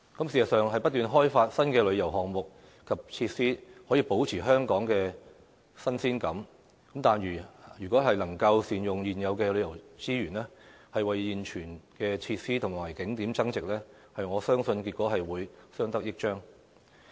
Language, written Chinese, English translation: Cantonese, 事實上，不斷開發新的旅遊項目及設施，可以保持香港的新鮮感，但如果能夠善用現有的旅遊資源，為現存的設施和景點增值，我相信結果會更相得益彰。, In fact if we continuously develop new tourism programmes and facilities we will be able to maintain the novelty of Hong Kong and if we make optimal use of existing tourism resources and add value to existing facilities and attractions I believe we will be able to produce a synergistic effect